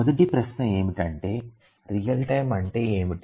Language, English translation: Telugu, So, the first question is that what is real time